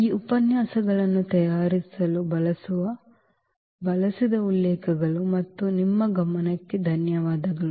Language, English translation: Kannada, So, these are the references used to prepare these lectures and thank you for your attention